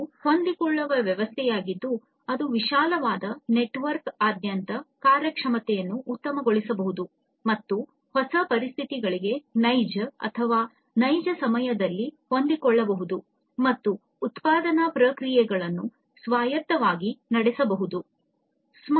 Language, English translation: Kannada, It is a flexible system, that can self optimize the performance across a broader network and self adapt and learn from the new conditions in real or near real time and autonomously run the production processes”